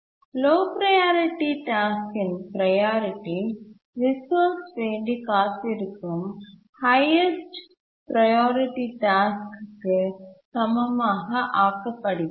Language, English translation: Tamil, The low priority task's priority is made equal to the highest priority task that is waiting for the resource